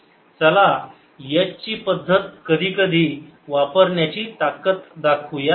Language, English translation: Marathi, this also shows the power of using h method sometimes